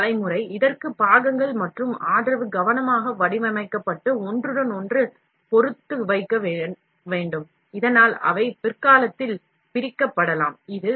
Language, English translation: Tamil, The support generation, this may require parts and support to be carefully designed and placed with respect to each other, so that they can be separated at later time